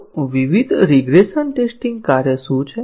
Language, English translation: Gujarati, So, what are the different regression testing tasks